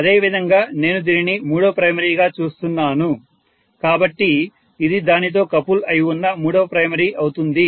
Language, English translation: Telugu, Similarly, if I am looking at this as the third primary so this is the third primary which is coupled to that